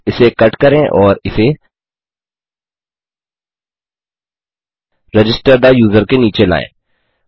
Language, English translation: Hindi, Cut out that and bring it down underneath register the user